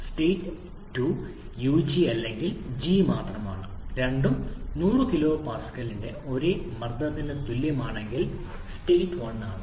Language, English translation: Malayalam, State 2 is ug or g only and state 1 is if both corresponds to the same pressure of 100 kpa